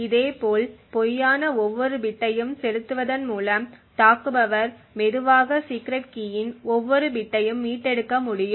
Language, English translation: Tamil, Similarly, by injecting false and every other bit the attacker get slowly be able to recover every bit of the secret key